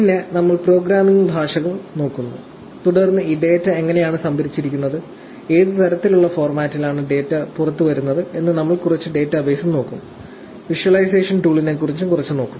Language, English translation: Malayalam, Then, we look at programming languages; and then, we will also look at a little bit of database, how this data is stored, what kind of format that the data is coming out; and a little bit about visualization tool